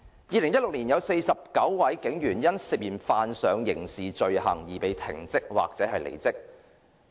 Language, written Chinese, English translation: Cantonese, 2016年有49位警員因涉嫌犯上刑事罪行而被停職或離職。, In 2016 49 police officers were suspended or resigned for alleged criminal offences